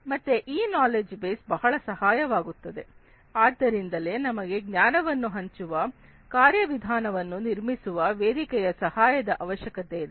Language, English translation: Kannada, So, this knowledge base will be very helpful, so that is why we need some kind of a platform that can help build a knowledge sharing mechanism